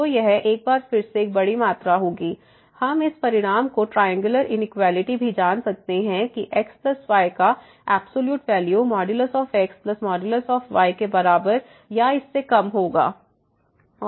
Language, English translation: Hindi, So, this will be a big quantity than this one and again, we can we know also this result the triangular inequality that the absolute value of plus will be less than equal to the absolute value of plus absolute value of